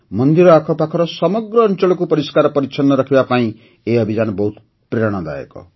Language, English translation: Odia, This campaign to keep the entire area around the temples clean is very inspiring